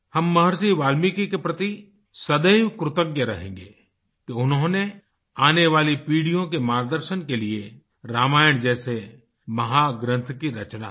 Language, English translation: Hindi, We will always be grateful to Maharishi Valmiki for composing an epic like Ramayana to guide the future generations